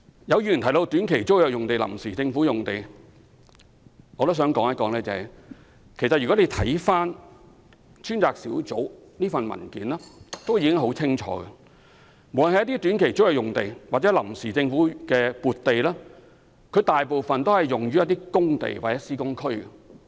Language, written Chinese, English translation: Cantonese, 有議員提到短期租約用地和臨時政府撥地。專責小組的文件已經說得很清楚，無論短期租約用地或臨時政府撥地，大部分位於工地或施工區。, With regard to sites under short - term tenancy and temporary Government land allocation mentioned by some Members the Task Force has clearly stated in its paper that most of them are used for work sites or work area